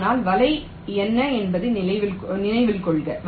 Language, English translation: Tamil, so recall what is the net